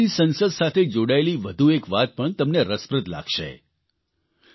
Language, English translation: Gujarati, By the way, there is another aspect about the Chilean Parliament, one which will interest you